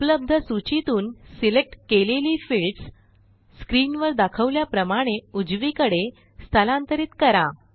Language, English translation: Marathi, And we will move selected fields from the available list to the right side as shown on the screen